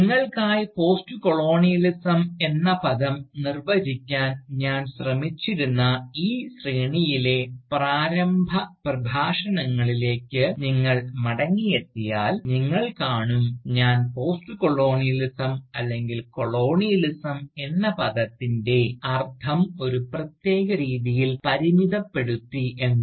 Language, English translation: Malayalam, If you go back to the initial Lectures, in this series, where I was trying to define the term Postcolonialism for you, you will see that, I had limited the meaning of the term Postcolonialism, or rather the term Colonialism, in a particular way